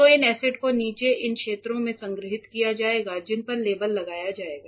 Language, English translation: Hindi, So, these acids will be stored below in these areas which will be labelled properly